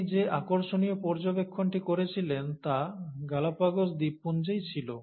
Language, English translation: Bengali, And, the most interesting observations that he made were in the Galapagos Islands